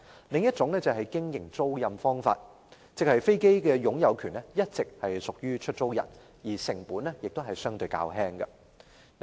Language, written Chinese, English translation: Cantonese, 另一種是經營租賃，即飛機擁有權一直屬於出租人，經營成本相對較輕。, The other form is operating lease where the ownership of the aircraft belongs to the lessor all along and the operating cost will be relatively lower